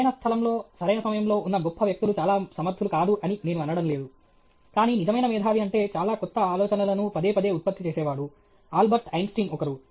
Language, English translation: Telugu, I am not saying that those who were in the right place, in the right time, are not great people or whatever, they are also very competent, but a true genius is one who repeatedly generates lot of new ideas; Albert Einstein was one